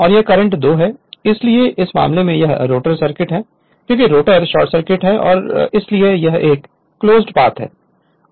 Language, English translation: Hindi, And this is the current I 2 right so in this case your this is the rotor circuit because rotor is short circuited so it is a closed path right